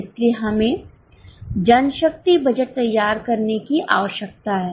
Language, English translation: Hindi, So, we need to prepare manpower budget